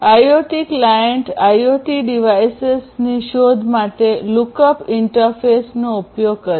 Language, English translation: Gujarati, So, IoT client uses the lookup interface for discovery of IoT devices